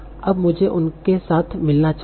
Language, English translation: Hindi, Now I should be able to match them together